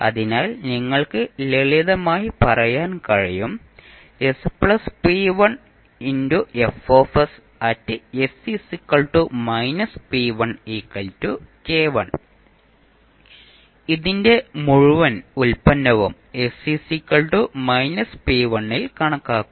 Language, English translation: Malayalam, The whole product of this would be calculated at s is equal to minus p1